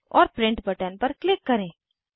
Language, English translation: Hindi, And click on the Print button